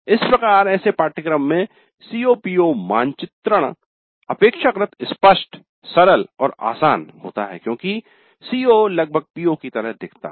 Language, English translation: Hindi, Thus COPO mapping in such courses tends to be relatively straightforward, simple and easy because the CO almost looks like a PO